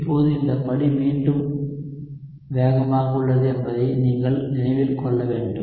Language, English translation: Tamil, So now you need to remember that this step is again fast